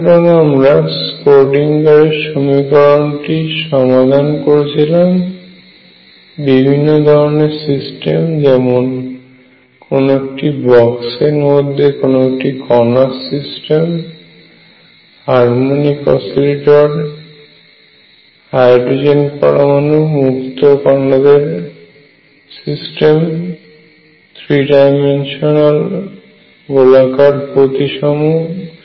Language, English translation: Bengali, So, we solved Schrodinger’s equation for systems like particle in a box harmonic oscillator hydrogen atom then free particles then three dimensional spherically symmetric systems